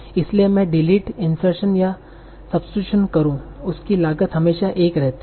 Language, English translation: Hindi, So whether I am doing deletion insertion or substitution each has a cost of 1